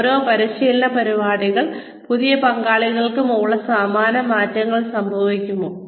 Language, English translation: Malayalam, Will similar changes occur, with the new participants, in the same training program